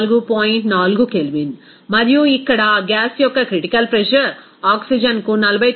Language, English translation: Telugu, 4 Kelvin and critical pressure of that gas here, oxygen is given 49